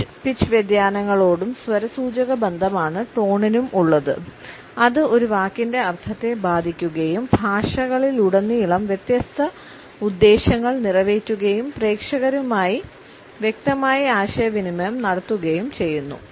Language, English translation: Malayalam, Tone is the phonological correlate of pitch and pitch variation and can serve different purposes across languages affecting the meaning of a word and communicating it clearly to the audience